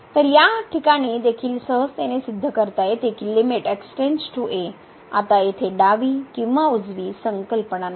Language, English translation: Marathi, So, in this case also one can easily prove that limit goes to a now there is no left or right concept here